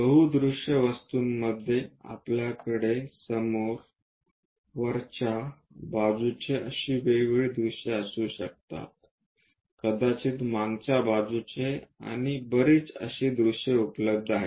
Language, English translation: Marathi, In multi view objects we have different views like front, top, side, perhaps from backside and many views available